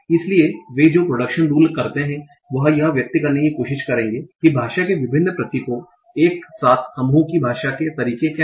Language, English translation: Hindi, The production rules will try to express what are the ways in which various symbols of the language are grouped together